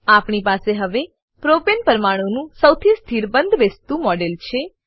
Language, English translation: Gujarati, We now have the model of the most stable conformation of Propane molecule